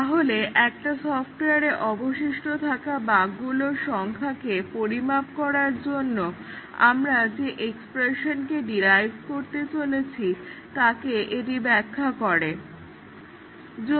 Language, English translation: Bengali, So, this explains the expression that we are going to derive, to estimate the number of bugs that are remaining in the software